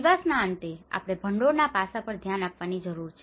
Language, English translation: Gujarati, At the end of the day, we need to look at the funding aspect